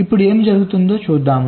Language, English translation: Telugu, lets see what happens